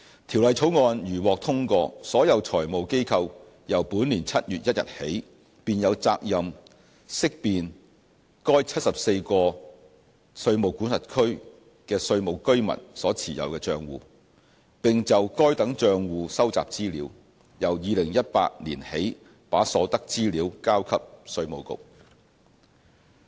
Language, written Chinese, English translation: Cantonese, 《條例草案》如獲通過，所有財務機構由本年7月1日起，便有責任識辨該74個稅務管轄區的稅務居民所持有的帳戶，並就該等帳戶收集資料，由2018年起把所得資料交給稅務局。, Subject to the Bill being passed all financial institutes are obliged to identify and collect information on accounts of tax residents in these 74 jurisdictions from 1 July this year onwards and from 2018 onwards the information collected will be submitted to the Inland Revenue Department IRD